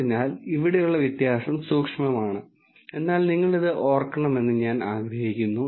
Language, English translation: Malayalam, So, the distinction here is subtle, but I want you to remember this